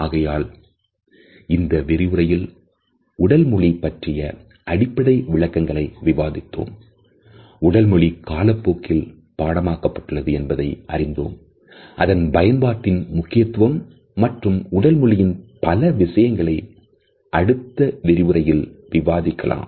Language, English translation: Tamil, So, in this lecture we have discussed the basic definitions of body language, the emergence of body language as a field of a study over the passage of time, it is significance in the scope and different aspects of body language, which we would study